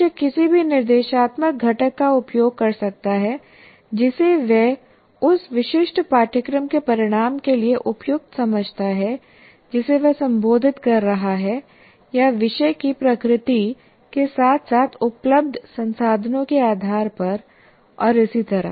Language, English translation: Hindi, The teacher can make use of any of the instructional components he considers appropriate to the particular course outcome is addressing or based on the nature of the subject as well as the resources that he has and so on